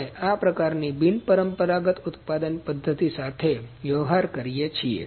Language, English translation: Gujarati, We deal with this kind of unconventional manufacturing methods